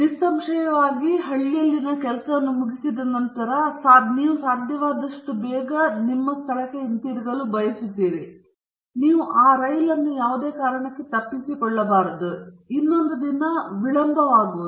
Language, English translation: Kannada, Obviously, after finishing the work in the village you want to get back to your place as early as possible, and you don’t want to miss that train, and be delayed for another day